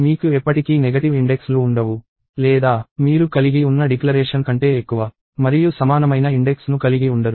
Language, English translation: Telugu, So, you will never have indices, which are negative; nor, you will have an index, which is greater than and equal to the declaration that you had